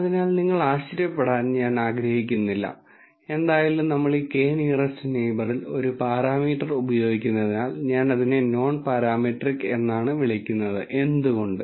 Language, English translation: Malayalam, So, I do not want you to wonder, since we are using anyway a parameter in this k nearest neighbor why am I calling it nonparametric